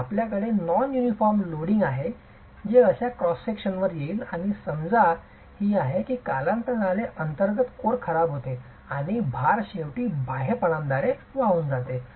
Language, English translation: Marathi, So, you have non uniform loading that will come on to such cross sections and the problem is the inner core over time deteriorates and load may finally be carried only by the exterior leaves